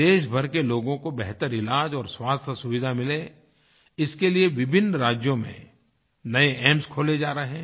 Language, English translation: Hindi, New AIIMS are being opened in various states with a view to providing better treatment and health facilities to people across the country